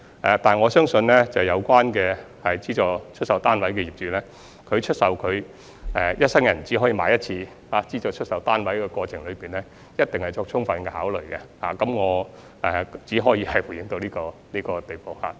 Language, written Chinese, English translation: Cantonese, 不過，我相信有關的資助出售單位業主，在出售一生人只可以購買一次的資助出售單位的過程中，一定已作充分考慮，我只可以回應到這個地步。, But I believe the SSF owners concerned must have made due consideration when they resold their SSFs which they were only entitled to purchase once in their lifetime . I can only respond up to this point